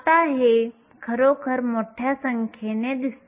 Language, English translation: Marathi, Now, this looks like a really large number